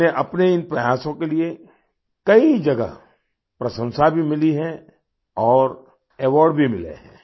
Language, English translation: Hindi, He has also received accolades at many places for his efforts, and has also received awards